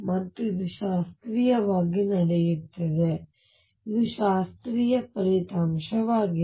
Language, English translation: Kannada, And this happens classical, this is a classical result